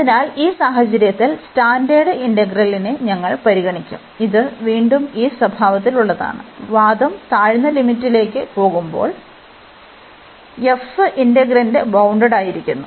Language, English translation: Malayalam, So, in this situation so we will be considering this integral, which is again of this nature, which we take as these standard for the discussion that f your integrand is bounded, when the argument is going to the lower limit